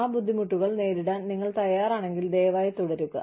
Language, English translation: Malayalam, If you are willing to face, those difficulties, please